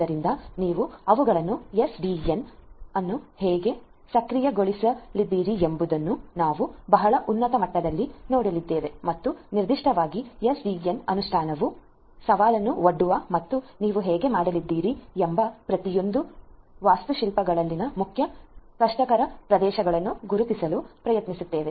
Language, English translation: Kannada, So, how you are going to make them SDN enabled is what we are going to at a very high level look at and particularly try to identify the main difficult areas in each of these architectures where SDN implementation will pose challenge and how you are going to do that to cater to these specific requirements, this is what we are going to look at in this particular lecture